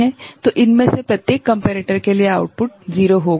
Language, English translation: Hindi, So, for each of the comparator then the output will be 0